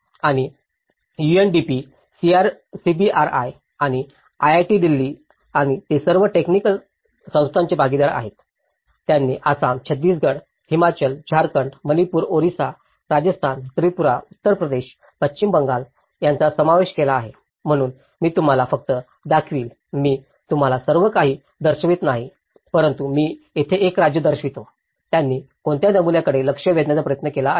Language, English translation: Marathi, And UNDP and CBRI and IIT Delhi and they have all been partners of technical institutions, they have already covered Assam, Chhattisgarh, Himachal, Jharkhand, Manipur Orissa, Rajasthan, Tripura, Uttar Pradesh, West Bengal so, I will just show you, I will not show you everything but I will show you one state how there; what is the pattern they have try to addressed